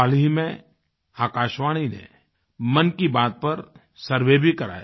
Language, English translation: Hindi, Recently, All India Radio got a survey done on 'Mann Ki Baat'